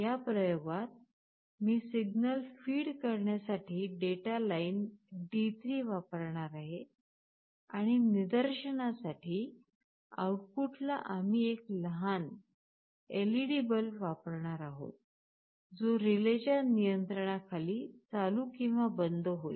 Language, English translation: Marathi, In this experiment, I will be using the data line D3 for feeding the signal and on the output side for the sake of demonstration, we will be using a small LED bulb, which will be turning ON and OFF under relay control